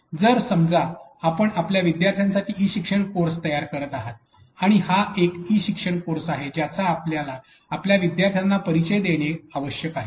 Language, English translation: Marathi, So, suppose you are creating an e learning course a content for your students, and this is a an e learning course of which you need to give introduction to your students